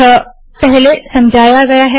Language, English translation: Hindi, So this has been explained before